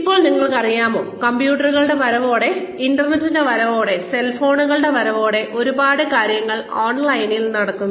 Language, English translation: Malayalam, Now, you know, with the advent of computers, with the advent of the internet, with the advent of cell phones, a lot of things are happening online